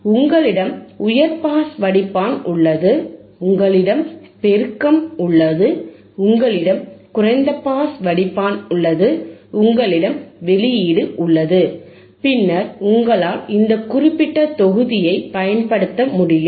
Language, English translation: Tamil, yYou have a high pass filter, you have amplification, you have a low pass filter, you have the output and then you can usinge this particular block,